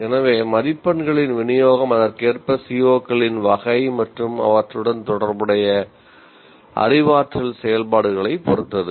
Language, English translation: Tamil, So the distribution of marks can correspondingly depend on the kind of COs and the kind of cognitive activities associated with them